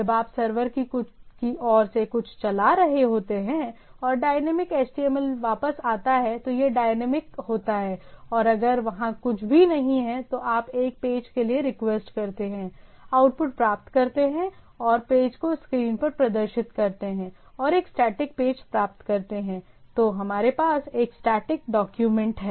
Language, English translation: Hindi, When you are running something at the server side and the dynamic HTML comes back its a dynamic and if it is nothing is there, you request for a page, get the output and get the page displayed on the screen and its a static page then we have a static document